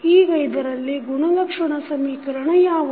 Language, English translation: Kannada, Now, what is the characteristic equation in this